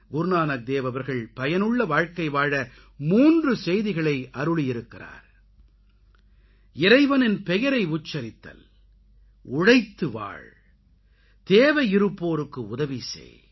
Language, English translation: Tamil, Guru Nanak Dev ji voiced three messages for a meaningful, fulfilling life Chant the name of the Almighty, work hard and help the needy